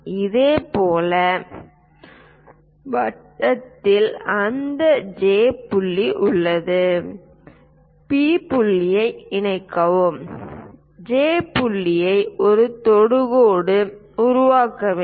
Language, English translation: Tamil, Now, we have that J point on the circle, connect P point and J point to construct a tangent line